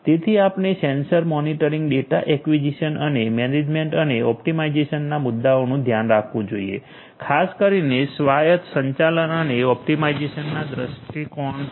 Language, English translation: Gujarati, So, we have to take care of issues of number 1 sensor monitoring, number 2 is data acquisition and number 3 is this management and optimization particularly from an autonomous management autonomous optimization point of view